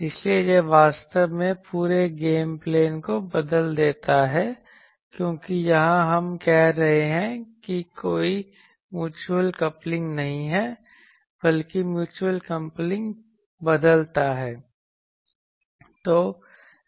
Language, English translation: Hindi, So, that actually changes the whole game plan because here we are saying that there is no mutual coupling, but mutual coupling changes